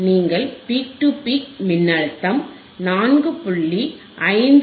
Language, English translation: Tamil, You see the peak to peak voltage it is back to 4